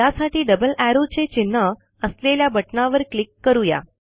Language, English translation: Marathi, For now, let us click on the button with double arrow mark symbols